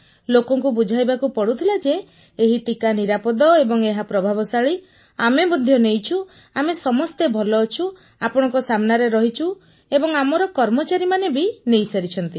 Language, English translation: Odia, People had to be convinced that this vaccine is safe; effective as well…that we too had been vaccinated and we are well…right in front of you…all our staff have had it…we are fine